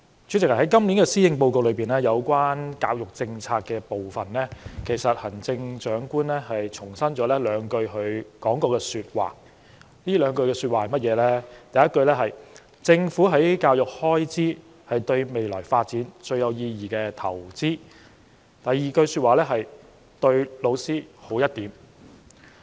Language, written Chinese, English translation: Cantonese, 主席，在今年施政報告有關教育政策的部分，行政長官重申了她說過的兩句話，第一句是："政府在教育開支是對未來發展最有意義的投資"；第二句是："對老師好一點"。, President in the part on the education policy of the Policy Address the Chief Executive reiterates two statements that she said in the past and they are the Governments expenditure on education is the most meaningful investment in our future and we should treat our teachers nicely